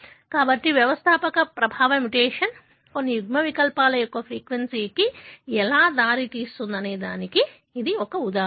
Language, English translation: Telugu, So, this is example of how the founder effect mutation can lead to the increased frequency of certain alleles